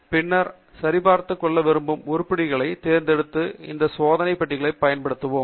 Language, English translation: Tamil, And then, we use these check boxes to select items that we want to pick up ok